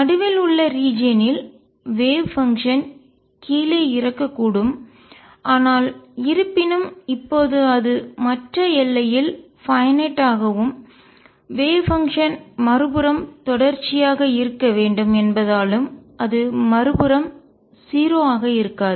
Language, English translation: Tamil, In the region in the middle the wave function may die down, but however, now since it is finite at the other boundary and the wave function has to be continuous to the other side, it will not be 0 to the other side